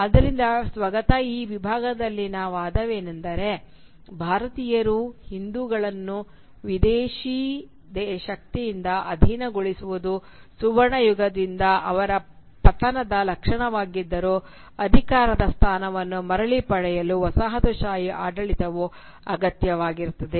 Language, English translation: Kannada, So the argument in this section of the monologue is that though the subjugation of the Indians/Hindus by a foreign power is symptomatic of their fall from the golden age, colonial rule is nevertheless necessary to regain that position of power